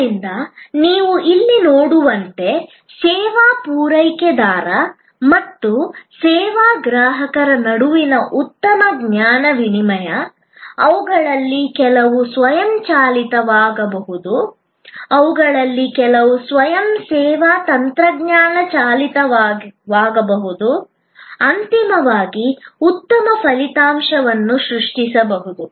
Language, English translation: Kannada, And as you can see here therefore, a good knowledge exchange between the service provider and the service consumer, some of that can be automated, some of them can be self service technology driven can create ultimately a better outcome